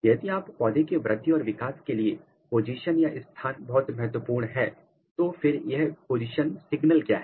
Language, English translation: Hindi, If position is very important in case of plant growth and development what are this positional signal,